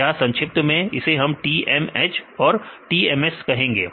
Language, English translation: Hindi, So, abbreviation I used TMH and TMS right